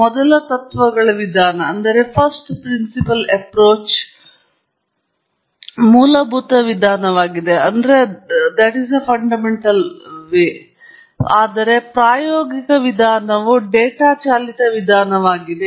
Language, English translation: Kannada, The first principles approach is a fundamental approach, whereas empirical approach is a data driven approach